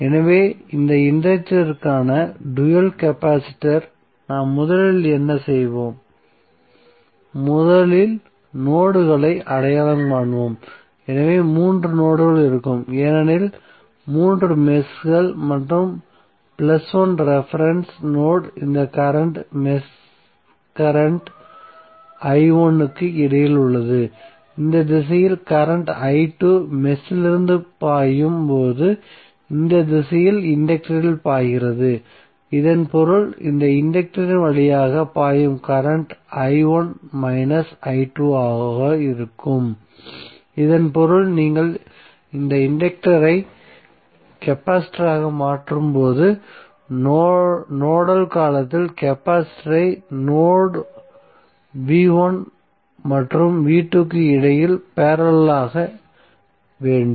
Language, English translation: Tamil, So in this case for this inductor the dual is capacitor so we have first what we will do, we will first identify the nodes, so there would be 3 nodes because there are 3 meshes and plus 1 reference node between this current mesh current i1 is flowing in the inductance in this direction while current i2 is flowing from the upper mesh in this direction, so it means that these are the current flowing through this inductor would be i1 minus i2 so that means that in nodal term when you replace this inductor with capacitor the capacitor should be connected between node v1 and v2